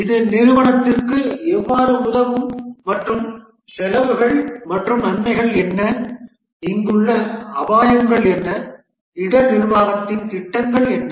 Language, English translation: Tamil, How it will help the company and what are the costs and benefits and what will be the risks here and what are the plans of risk management